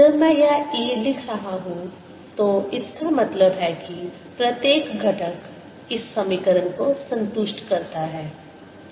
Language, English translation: Hindi, when i am writing this e, that means each component satisfies this equation